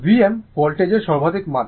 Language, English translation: Bengali, V m is the peak value of the voltage